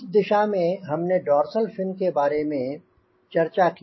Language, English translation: Hindi, and that can be done through dorsal fin